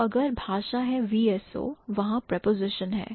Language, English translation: Hindi, So, if the language is VSO, there is a preposition